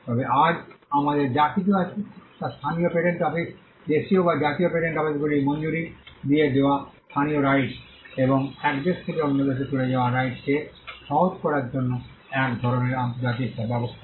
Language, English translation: Bengali, But all that we have today is local rights granted by the local patent office, Domestic or National Patent Offices granting the rights; and some kind of an international arrangement to facilitate rights moving from one country to another